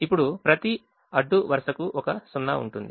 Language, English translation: Telugu, now every row has one zero